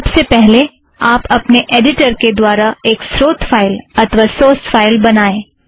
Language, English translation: Hindi, The first thing you have to do is to create a source file using your editor